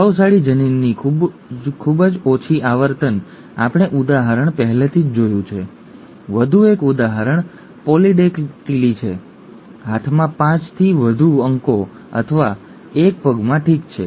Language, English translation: Gujarati, Very low frequency of the dominant allele, we have already seen the example, one more example is polydactyly, more than 5 digits in hand or a foot, okay